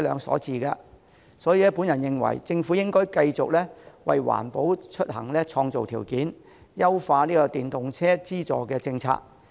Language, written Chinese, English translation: Cantonese, 所以，我認為政府應該繼續為環保出行創造條件，優化電動車資助政策。, For this reason I think that the Government should continue to create favourable conditions for green commuting and improve the policy on subsidizing electric vehicles